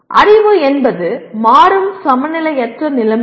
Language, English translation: Tamil, Knowledge is dynamic unbalanced conditions